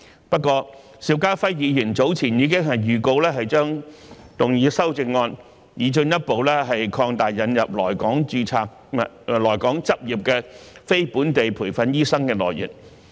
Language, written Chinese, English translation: Cantonese, 不過，邵家輝議員早前已預告將動議修正案，擬進一步擴大引入來港執業的非本地培訓醫生的來源。, However Mr SHIU Ka - fai has given a notice indicating that he will propose amendments to further widen the pool of NLTDs admitted to practise in Hong Kong